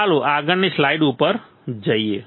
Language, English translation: Gujarati, Let us go to the next slide